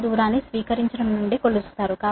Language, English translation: Telugu, so distance is measured from here